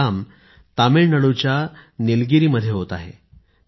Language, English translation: Marathi, This effort is being attempted in Nilgiri of Tamil Nadu